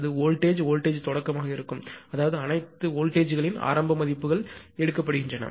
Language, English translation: Tamil, It will be voltage plus voltage start; that means, that means all the all the all the voltages initial values are taken one